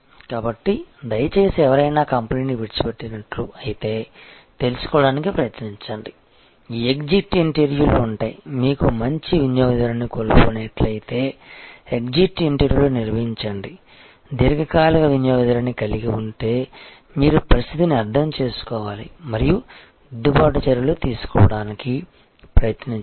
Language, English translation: Telugu, So, please try to find out just as we have an a somebody leaves a company, we have this exit interviews try to have exit interviews with if you have by chance lost a good customer, a long term customer you must have really good in depth understanding of the situation and see corrective actions are taken